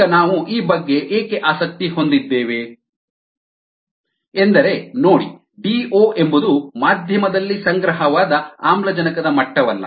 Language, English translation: Kannada, so now, why we are interested in this is see: d o is nothing but the accumulated level of oxygen in the medium